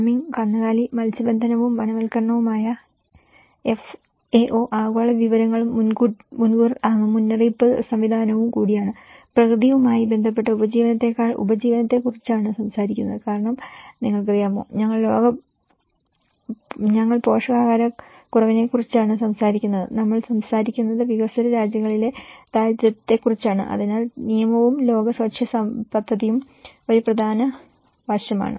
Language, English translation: Malayalam, And FAO which is the farming livestock fisheries and the forestry, which is also of the global information and early warning system so, it talks about the livelihood than the nature related livelihood aspects and World Food Program because you know, we are talking about the malnutrition so, we are talking about the poverty in developing countries, so that is where the law, the World Food Program is also an important aspect